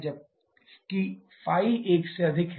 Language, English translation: Hindi, Whereas ϕ is greater than 1